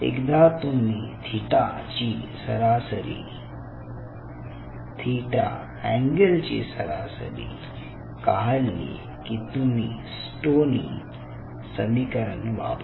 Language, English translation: Marathi, once you average out the theta angle, you can use an equation which is called stoneys equation